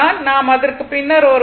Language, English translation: Tamil, We will come later right